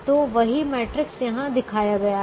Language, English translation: Hindi, so the same matrix is shown here, the first row